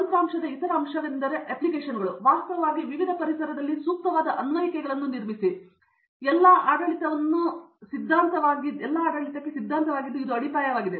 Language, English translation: Kannada, The other aspect of software is the applications, where you actually build applications that suits different environments and governing all these three is the theory, which is the foundation